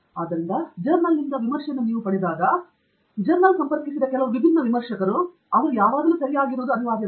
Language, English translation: Kannada, So, when you get a review from a journal, which comes from, you know, few different reviewers whom the journal has approached, it is not necessary that they are always right